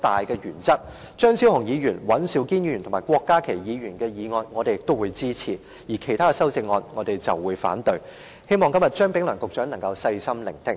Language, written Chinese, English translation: Cantonese, 對於張超雄議員、尹兆堅議員及郭家麒議員的修正案，我們均會支持，而其他修正案，我們則會反對，希望今天張炳良局長能細心聆聽。, We will support the amendments by Dr Fernando CHEUNG Mr Andrew WAN and Dr KWOK Ka - ki but oppose the other amendments . I hope Secretary Prof Anthony CHEUNG will listen to our views carefully today